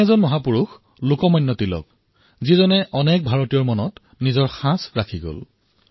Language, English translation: Assamese, One such great man has been Lok Manya Tilak who has left a very deep impression on the hearts of a large number of Indians